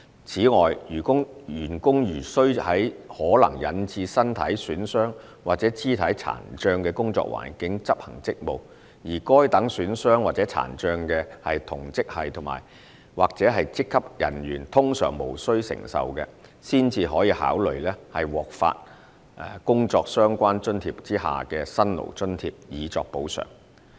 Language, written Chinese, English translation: Cantonese, 此外，員工如須在可能引致身體損傷或肢體殘障的工作環境執行職務，而該等損傷或殘障是同職系或職級人員通常無須承受的，才可考慮獲發放工作相關津貼下的"辛勞津貼"以作補償。, In addition to the above general principle as compensation consideration may be given to paying Hardship Allowances under JRAs to officers who are subject to work environment which would render them liable to bodily harm or physical impairment of a degree not normally expected by staff in the same grade or rank